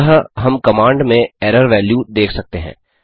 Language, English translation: Hindi, So we can see error value show in the command